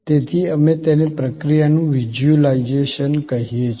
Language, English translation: Gujarati, So, we call it visualization of the process